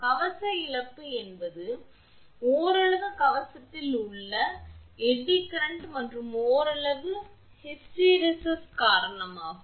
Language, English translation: Tamil, Armor loss is a partly due to the eddy current in the armor and partly due to hysteresis